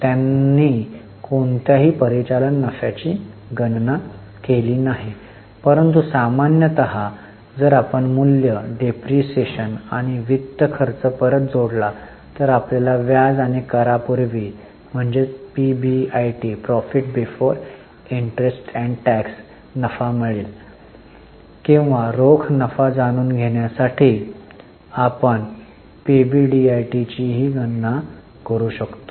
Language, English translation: Marathi, They have not calculated any operating profit but usually if we add back depreciation and finance cost we will get PBIT profit before interest and tax or we can also calculate PBDIT tot to know the cash profit for the business